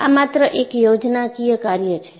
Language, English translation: Gujarati, This is only a schematic